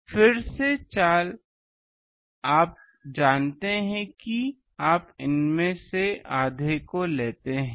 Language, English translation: Hindi, So, again the trick is you know you take half of these out